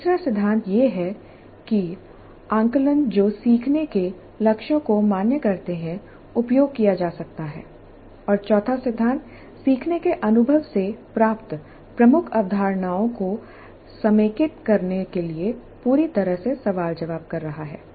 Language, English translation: Hindi, The third principle is that assessments that validate the learning goals must be used and the fourth principle is thorough debriefing to consolidate the key concepts gained from the learning experience